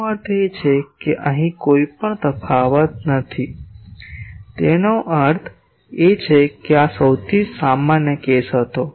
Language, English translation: Gujarati, That means, here also no difference; that means, this was the most general case